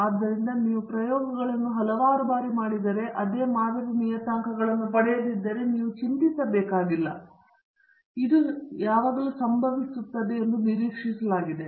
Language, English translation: Kannada, So, you do not have to worry, if you do not get the same model parameters if you do the experiments several times; it is expected that this is going to happen